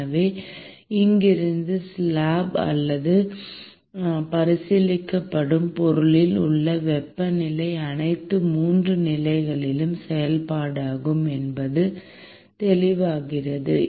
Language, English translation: Tamil, So, from here it is very clear that the temperature in the slab or in the material that is being considered is clearly a function of all 3 positions